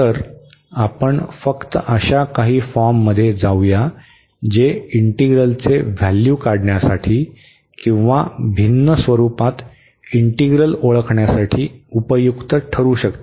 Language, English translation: Marathi, So, let us just go through some forms that could be useful to evaluate the integrals or to recognize integrals in a different format